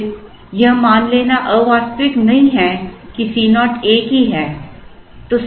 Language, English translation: Hindi, Then it is not unrealistic to assume that C naughts the same